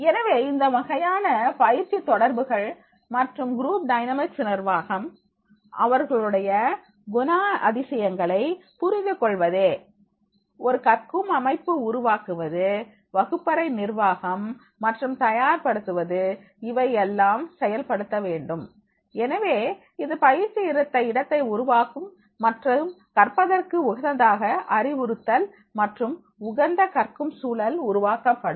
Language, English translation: Tamil, So, these this type of these interacting with the trainings and managing the group dynamics, understanding their personalities, creating a learning setting, making the preparation and classroom management, so these all will be conducted so that this will create a training site and instruction condensive to learning and a condensive environment for the learning that will be created